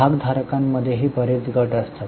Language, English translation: Marathi, Between the shareholders also, there are many groups